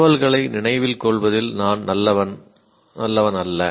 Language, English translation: Tamil, I am good, not good at remembering information